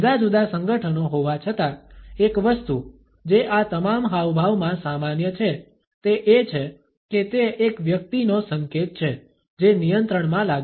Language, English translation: Gujarati, Despite the different associations one thing which is common in all these gestures is that they are an indication of a person who feels in control